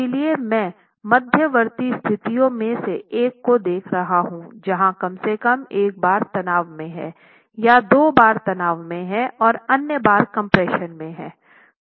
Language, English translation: Hindi, So I'm looking at one of the intermediate situations where at least one bar is in tension, two bars are in tension and the other bars are in compression